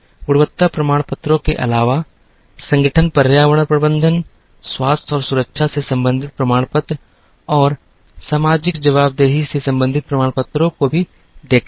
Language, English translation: Hindi, In addition to quality certifications, organizations also looked at certifications related to environment management, related to health and safety, and related to social accountability